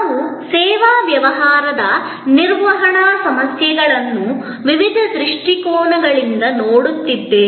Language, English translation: Kannada, We are looking at the service business management issues from various perspectives